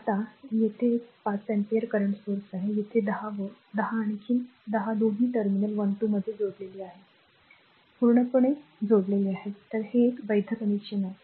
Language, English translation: Marathi, Now, here one 5 ampere current source is there a 10 voltage 10 another 10 both are connected across terminal 1 2 absolutely no problem this is also a valid connection right